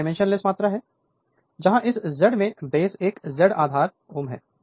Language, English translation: Hindi, It is dimensionless quantity, where this Z in ohm this Z base is also ohm